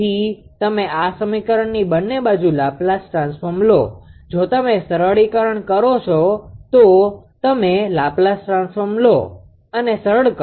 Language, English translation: Gujarati, So, you take the Laplace transform of this equation both side you take the Laplace transform; if you can simplify you take the Laplace transform and then you simplify if you if you if you do so